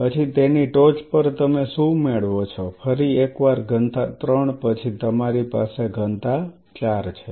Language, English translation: Gujarati, Then on top of that you achieve what you, once again density 3 then you have density 4